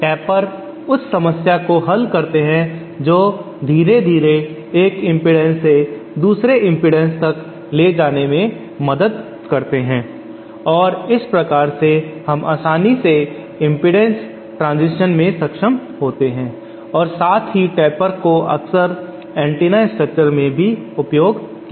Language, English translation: Hindi, Tapers solve that problem they help to gradually move from one impedance to another impedance and in that way they enable us to have smooth impedance transition as well as tapers are also often used in antenna structure